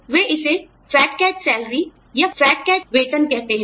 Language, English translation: Hindi, They call it, the fat cat salary, or fat cat pay